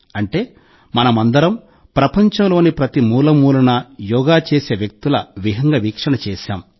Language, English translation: Telugu, That is, we all saw panoramic views of people doing Yoga in every corner of the world